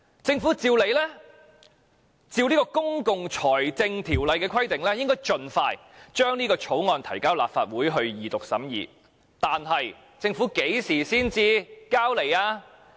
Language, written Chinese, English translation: Cantonese, 政府理應按照《公共財政條例》的規定，盡快將這項條例草案提交立法會二讀，但政府何時才提交上來？, Supposedly the Government should fulfil the requirement under PFO by introducing this bill into the Legislative Council for it to be read the Second time as soon as possible but when did the Government introduce it into this Council?